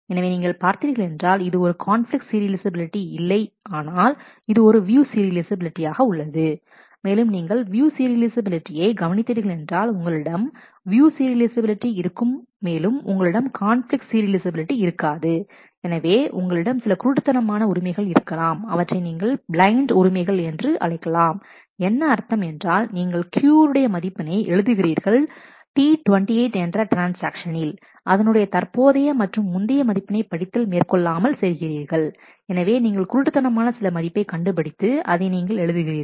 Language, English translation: Tamil, So, you can see that this is a this is not a conflict serializable, but this is view serializable and if you note the view serializability moment, you have you view serializability and you may not have conflict serializability, then you must be having certain blind rights, these are called blind rights this is a blind right, in the sense that here you are writing the value of Q in T 28 without having read it is current or previous value